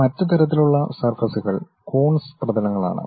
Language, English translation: Malayalam, The other kind of surfaces are Coons surfaces